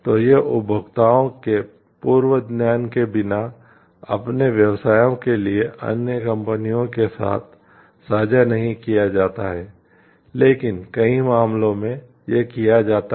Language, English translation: Hindi, So, it is not shared with other companies for their businesses without the prior knowledge of the consumers, but in many cases this is done